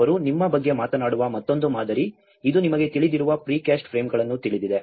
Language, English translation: Kannada, This is one another model where they talk about you know the pre cast frames you know